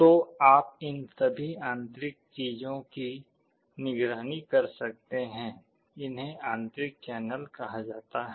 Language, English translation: Hindi, So, all these internal things you can monitor; these are called internal channels